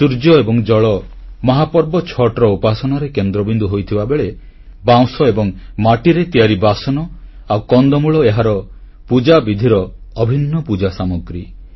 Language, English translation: Odia, Surya & Jal The Sun & Water are central to the veneration in Chhath, whereas utensils made of bamboo & clay and tubers are an essential part of the Pooja articles